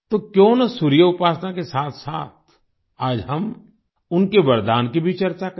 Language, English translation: Hindi, So today, along with worshiping the Sun, why not also discuss his boon